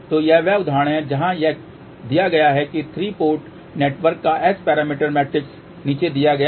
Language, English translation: Hindi, So, this is the example where it is given that S parameter matrix of a 3 port network is given below